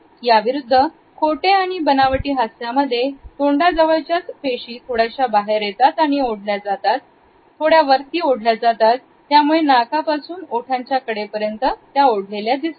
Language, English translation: Marathi, On the other hand, in false or plastic smiles we find that the muscles pull the lips obliquely upwards and back, deepening the furrows which run from the nostril to the corners of the lips